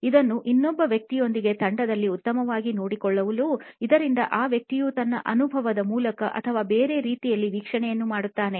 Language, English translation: Kannada, It is best done with another person also as a team so that that person does the observation you go through the experience or the other way round